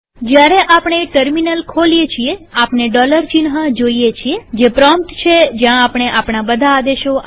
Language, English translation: Gujarati, When we open the terminal we can see the dollar sign, which is the prompt at which we enter all our commands